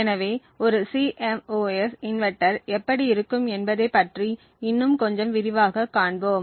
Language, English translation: Tamil, So, we will see little more detail about what a CMOS inverter looks like